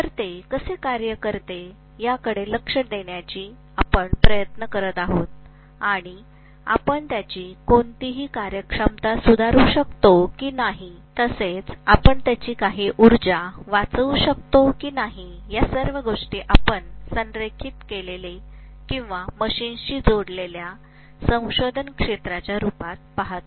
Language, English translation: Marathi, So we are trying to look at how it works and whether we can improve any of its efficiency, whether we can conserve some energy, all these things we look at as research areas which are aligned or which are connected to the machines